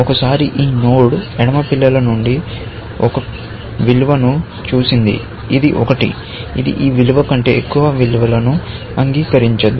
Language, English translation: Telugu, We mean that once, this node has seen one value from a left child, which is 1, it is not going to accept any value, which higher than this value